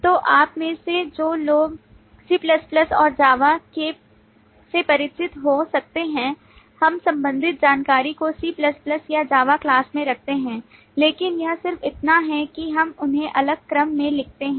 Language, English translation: Hindi, So those of you who may be familiar with C++ and Java will relate that we keep the similar information in a C++ or a Java class